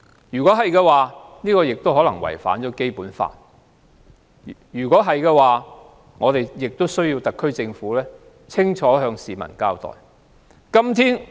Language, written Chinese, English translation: Cantonese, 如果是，便可能違反《基本法》，我們要求特區政府向市民清楚交代。, If so the Basic Law may be violated and we ask the SAR Government to give the public a clear account of the incident